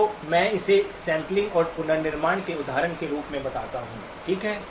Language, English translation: Hindi, So let me call it as examples of sampling and reconstruction, okay